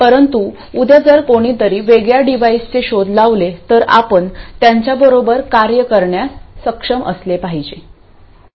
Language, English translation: Marathi, But if tomorrow someone else invents a device which is different, you should still be able to work with them